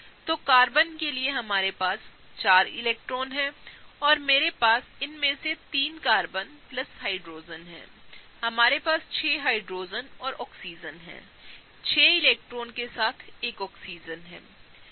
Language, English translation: Hindi, So, for Carbon, we have four electrons, and I have 3 of these Carbon plus Hydrogen; we have 6 Hydrogen’s and Oxygen, there is one Oxygen with 6 electrons